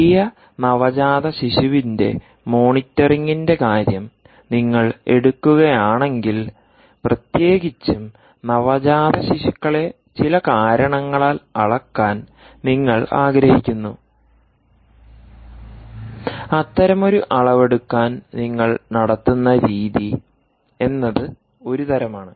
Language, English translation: Malayalam, if you take the case of new natal monetary, if you take the case of baby monitoring, particularly newborn babies, you want to measure them for some reason, ah um, then the measurement, the way by which you actually make such a measurement, is one type